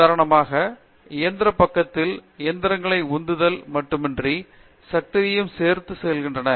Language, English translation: Tamil, On the engine side for example, engines go along with not only propulsion, but also power